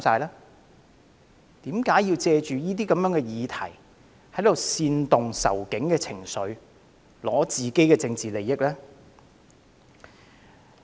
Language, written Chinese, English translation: Cantonese, 為何要借此議題煽動"仇警"情緒，以爭取自己的政治利益？, How come they use this matter to incite anti - police sentiments for their own political interests?